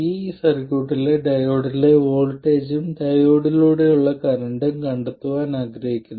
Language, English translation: Malayalam, And I want to find the voltage across the diode and the current through the diode in this circuit